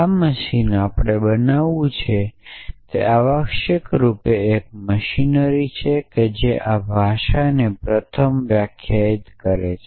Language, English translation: Gujarati, This machine is we want to built is essentially a machinery which first defines this language